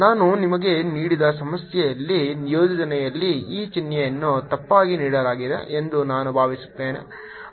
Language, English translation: Kannada, i think in the problem that i gave you i had in the assignment this sign is given incorrectly, so correct that now